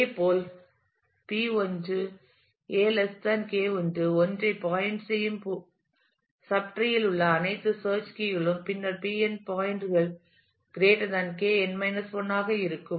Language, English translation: Tamil, Similarly all search keys in the subtree which P 1 points to a less than K 1, then for all that P n points to are greater than K n 1